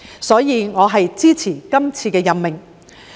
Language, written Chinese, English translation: Cantonese, 因此，我支持這次任命。, Therefore I support this appointment